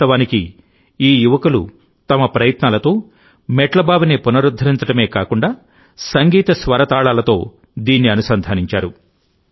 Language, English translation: Telugu, In fact, with their efforts, these youths have not only rejuvenated the step well, but have also linked it to the notes and melody of the music